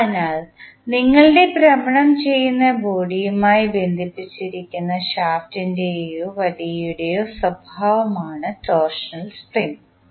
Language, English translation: Malayalam, So, torsional spring is the property of the shaft or the rod which is connected to your rotating body